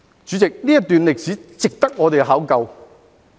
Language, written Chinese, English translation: Cantonese, 主席，這段歷史值得我們考究。, Why? . President this part of history is worthy of our serious thoughts